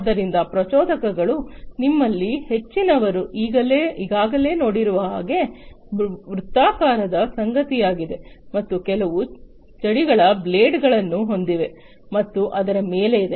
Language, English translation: Kannada, So, impellers I think most of you have already seen that it is something very circular and has some grooves blades and so on, on its surface